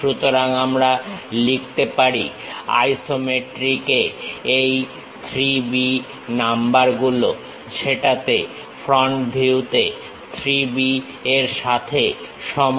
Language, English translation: Bengali, So, let me write these numbers 3 B in isometric is equal to 3 B in that view, in the front view